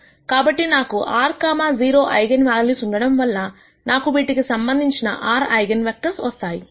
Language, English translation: Telugu, So, since I have r 0 eigenvalues, I will have r eigenvectors corresponding to this